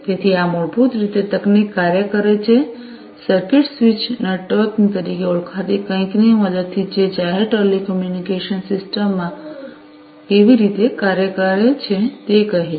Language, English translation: Gujarati, So, this basically technology operates, with the help of something known as the circuit switched networking, which is how the telling the public telecommunication systems work